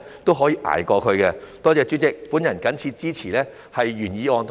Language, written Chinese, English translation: Cantonese, 多謝主席，我謹此支持原議案及修正案。, Thank you President . I support the original motion and the amendment